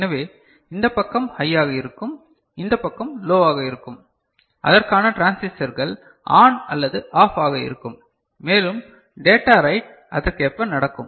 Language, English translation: Tamil, So, this side will be high and this side will be low corresponding transistors will be you know ON or OFF and you know the data writing will takes place accordingly